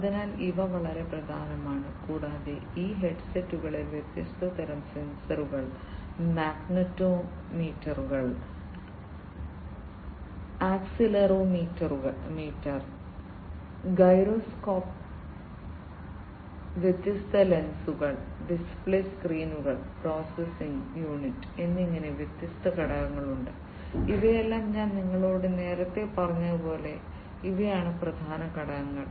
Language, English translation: Malayalam, So, this one this one, etcetera, these are very important and there are different components of these headsets like different types of sensors, like magnetometers, accelerometer, gyroscope, etcetera the different lenses, display screens processing unit all these as I was telling you earlier these are the important components of a VR system